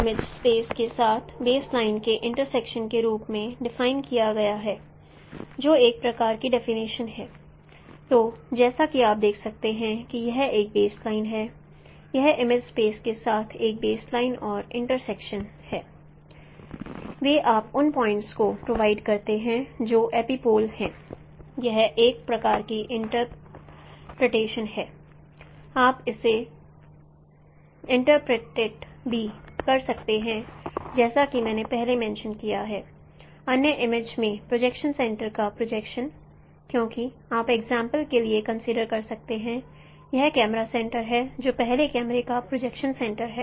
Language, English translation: Hindi, Or you can also interpret as I mentioned earlier the projection of projection center in other image because you can consider for example this is a camera center which is a projection center of the first camera